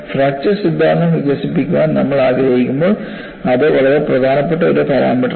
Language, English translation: Malayalam, That is one of the very important parameters when we want to develop the fracture theory soon and so forth